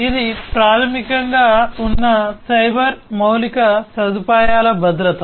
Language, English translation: Telugu, So, it is basically the security of the cyber infrastructure that is there